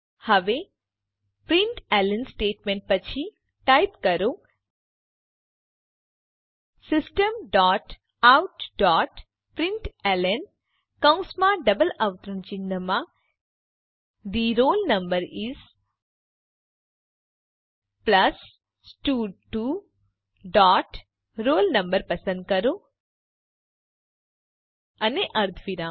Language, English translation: Gujarati, Now after the println statements, type System dot out dot println within brackets and double quotes The roll number is, plus stud2 dot select roll no and semicolon